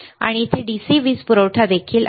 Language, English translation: Marathi, And here also is a DC power supply